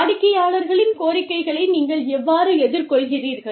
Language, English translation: Tamil, And, how do you deal with, the demands of the clients